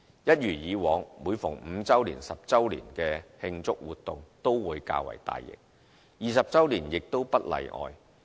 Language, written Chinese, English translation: Cantonese, 一如以往，每逢5周年、10周年的慶祝活動都會較為大型 ，20 周年亦不會例外。, As a practice the celebratory activities for the 5 anniversary and the 10 anniversary are usually larger in scale and there is no exception for the 20 anniversary